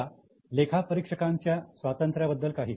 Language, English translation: Marathi, Now the auditor's independence